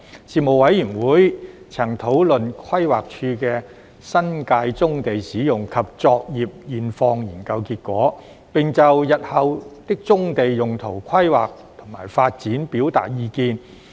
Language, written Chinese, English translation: Cantonese, 事務委員會曾討論規劃署的新界棕地使用及作業現況研究結果，並就日後的棕地用途規劃及發展表達意見。, The Panel has discussed the findings of the Study on Existing Profile and Operations of Brownfield Sites in the New Territories commissioned by the Planning Department and expressed views on the future uses and developments of brownfield sites